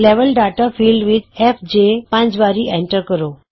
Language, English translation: Punjabi, In the Level Data field, enter fj five times